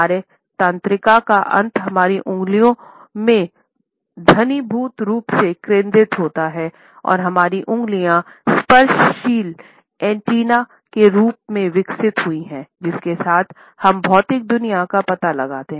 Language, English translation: Hindi, Our nerve endings are densely concentrated in our fingertips, and our fingertips have evolved as tactile antennae with which we explore the material world